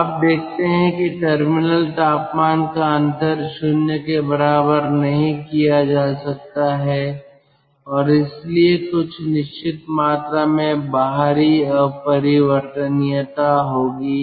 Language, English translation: Hindi, so you see that terminal temperature difference cannot be made equal to zero and thats why there will be certain amount of external irreversibility